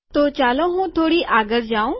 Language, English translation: Gujarati, So let me just go forward